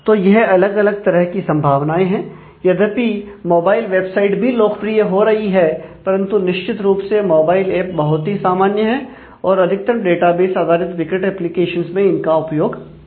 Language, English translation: Hindi, So, these are all different possibilities and even though mobile website is also becoming popular, but certainly mobile apps are very, very common in terms of a majority of critical applications of data bases that we have